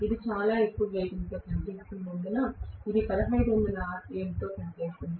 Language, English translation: Telugu, Because it is working at a very high speed, it is working 1500 rpm